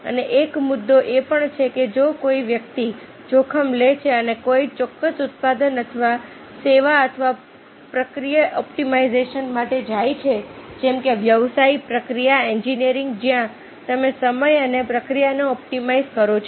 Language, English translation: Gujarati, and there is also a point that if somebody takes a, takes the risk and go for a particular product or a service or a process optimization through some, through the analysis like business process, we engineering, where you optimize time and the process, there is a risk that this may not succeed in the market